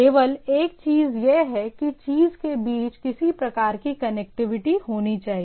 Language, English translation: Hindi, The only thing is that it should have some sort of connectivity between the thing